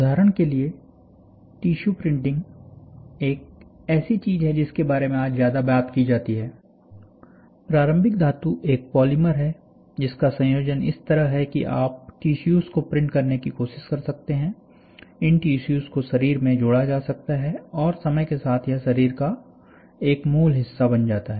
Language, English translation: Hindi, For example, tissue; tissue printing is something which is more talked about today, now it is a polymer, starting metal is a polymer and then you make the composition of the polymer to such an extent that, you can try to print tissues, and these tissues can be interfaced into the body and it becomes a original part over a period of time